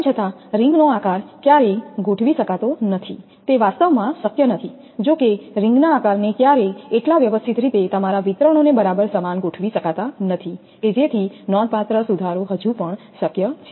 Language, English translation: Gujarati, Though the shape of the ring can never be adjusted, it is not possible actually, though the shape of the ring can be never be so adjusted as to give perfectly equal your distributions considerable improvements are still possible